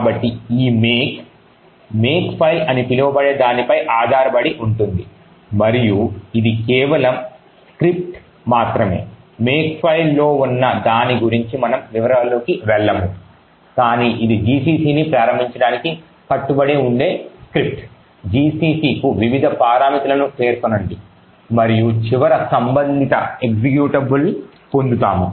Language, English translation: Telugu, So, this make depends on what is known as a Makefile and it is just a script we will not go into the details about what is present in a make file but it is just a script that would commit us to invoke gcc specify various parameters for gcc and finally obtain the corresponding executable